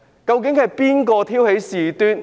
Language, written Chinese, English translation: Cantonese, 究竟是誰挑起事端？, Actually who has provoked the incident?